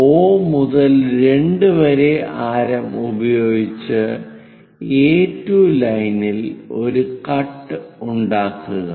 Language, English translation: Malayalam, From O to 2 make a cut on A2 line